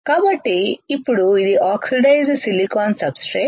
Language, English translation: Telugu, So now, it is oxidized silicon substrate